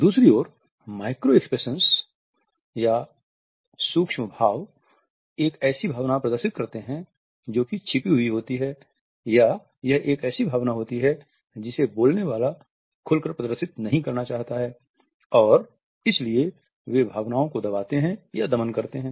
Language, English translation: Hindi, Micro expression on the other hand display an emotion which is rather concealed or an emotion which the speaker does not want to exhibit openly and therefore, they showcase repression or oppression of feelings